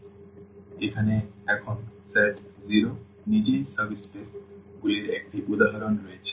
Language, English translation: Bengali, So, here is a examples now of the subspaces here the set 0 itself